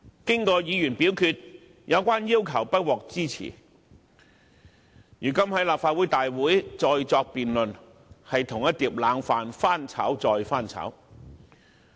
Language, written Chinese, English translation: Cantonese, 在議員表決後，有關的要求不獲支持，如今在立法會會議上再作辯論，等於將一碟冷飯翻炒再翻炒。, The matter was then put to vote and the request was not supported . Thus the discussion of the matter at the Council meeting today is tantamount to revisiting old issues time and again